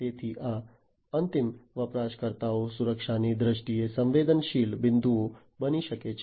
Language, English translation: Gujarati, So, these end users can be the vulnerable points in terms of security